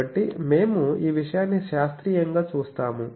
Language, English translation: Telugu, And so, we will see this thing scientifically